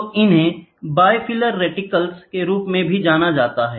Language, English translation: Hindi, So, they are also known as bifilar reticles, ok